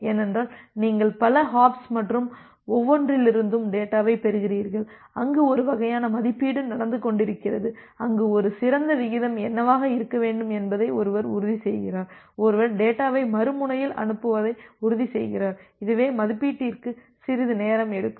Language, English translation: Tamil, Because you are receiving data from multiple hops and every, where there is a kind of estimation going on that what should be the ideal rate at which the one ensure send the data at the other end, and this is the estimation takes some time